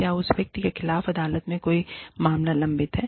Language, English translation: Hindi, Does the person have, any cases pending against him or her, in the court of law